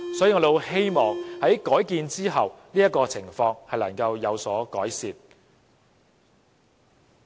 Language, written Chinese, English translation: Cantonese, 所以，我們很希望在改建之後，這種情況會有所改善。, So we hope the situation will improve after its redevelopment